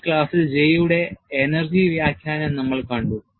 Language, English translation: Malayalam, We have seen the energy interpretation of J in this class